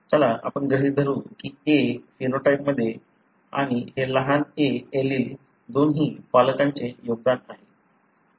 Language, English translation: Marathi, Let’s assume the small ‘a’ resulting in the phenotype and this small ‘a’ – allele, is contributed by both the parent